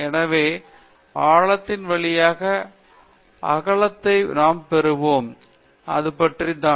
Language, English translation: Tamil, So, we gain width through the depth; this is about it